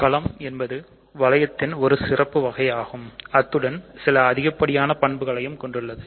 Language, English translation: Tamil, Fields are just special cases of rings; they are rings with certain additional properties